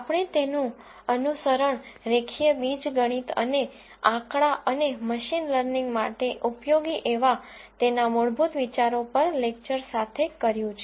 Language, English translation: Gujarati, We followed that up with lectures on fundamental ideas in linear algebra and statistics that are useful for data science and machine learning